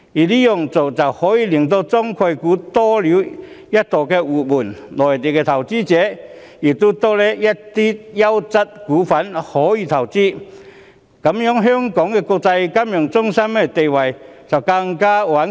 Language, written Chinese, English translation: Cantonese, 這樣做可以令中概股多了一道活門，讓內地投資者可以投資更多優質股份，令香港金融中心地位更加穩固。, By doing so we will open another door to Chinese concept stocks and allow Mainland investors to invest in more quality stocks thereby reinforcing Hong Kongs status as a financial centre . This is precisely killing several birds with one stone